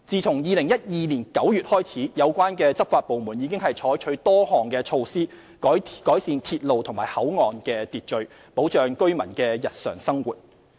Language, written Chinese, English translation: Cantonese, 自2012年9月起，有關執法部門已採取多項措施，改善鐵路和口岸的秩序，保障居民的日常生活。, Starting from the end of September 2012 the law enforcement departments concerned have adopted a number of measures to enhance order at railway stations and control points to protect the daily lives of residents